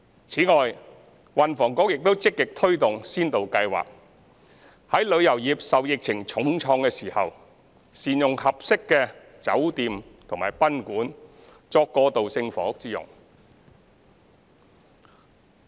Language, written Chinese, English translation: Cantonese, 此外，運輸及房屋局亦積極推動先導計劃，在旅遊業受疫情重創的時候，善用合適的酒店和賓館單位作過渡性房屋之用。, Besides the Transport and Housing Bureau has also actively promoted a pilot scheme to utilize suitable rooms in hotels and guesthouses for use as transitional housing when the tourism industry is hard hit by the epidemic